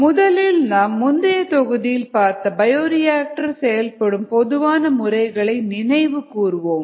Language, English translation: Tamil, let's first recall the common bioreactor operating modes that we saw in the previous module